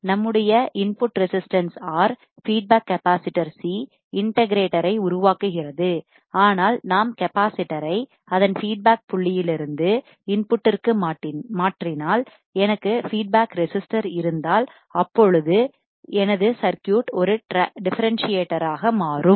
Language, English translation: Tamil, Our input resistance R, feedback capacitor C forms the integrator, but if I change the capacitor from its point its feedback to the input, and I have feedback resistor then my circuit will become a differentiator